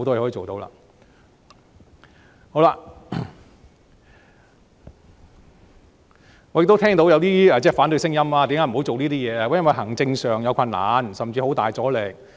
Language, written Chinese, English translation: Cantonese, 好了，我亦聽到有一些反對聲音，辯說為何不能做這些事，說是因為行政上有困難，甚至會遇到很大阻力。, Alright I have also heard some opposing arguments against such measures citing such reasons as administrative difficulties and even strong resistance